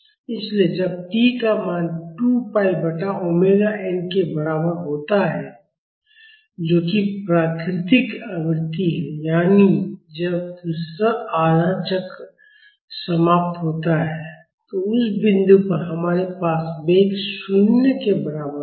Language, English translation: Hindi, So, when the value of t is equal to 2 pi by omega n that is the natural frequency, that is when the second half cycle ends